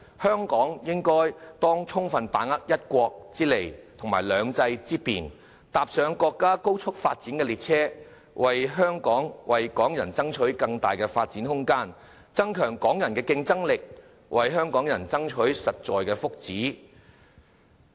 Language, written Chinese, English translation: Cantonese, 香港應當充分把握"一國"之利和"兩制"之便，搭上國家高速發展的列車，為香港人爭取更大發展空間，增強香港人的競爭力，為香港人爭取實在的福祉。, Hong Kong must take the full advantage of one country and make the most of the convenience offered under two systems getting on board the high - speed train of national development striving for the people of Hong Kong more room for development boosting their competitiveness and fighting for their actual well - being